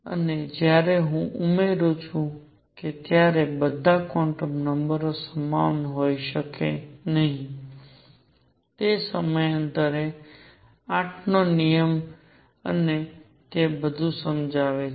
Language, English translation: Gujarati, And when I add that not all quantum numbers can be the same, it explains the periodicity the rule of 8 and all that